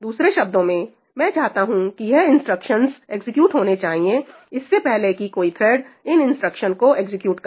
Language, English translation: Hindi, In other words, I want these instructions to be executed before any thread executes this instruction